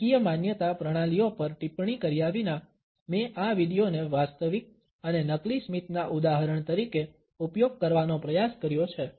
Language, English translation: Gujarati, Without commenting on the political belief systems, I have tried to use this video as an illustration of genuine and fake smiles